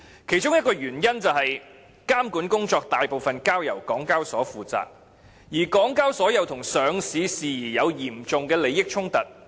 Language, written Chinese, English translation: Cantonese, 其中一個原因是監管工作大部分交由港交所負責，而港交所又與上市事宜有嚴重利益衝突。, One of the reasons lies in the fact that most of the regulation work is undertaken by HKEx and there is a serious conflict of interests on the part of HKEx when listing matters are involved